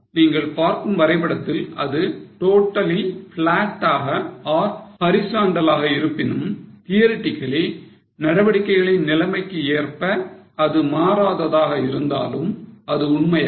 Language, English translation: Tamil, Although in the graph you can see that it is totally flat or horizontal, theoretically it doesn't change here because with level of activities doesn't change